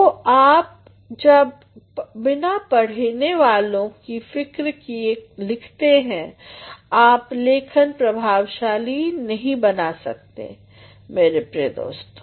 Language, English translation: Hindi, So, when you are writing without having a consideration for your readers writing will not be effective by dear friends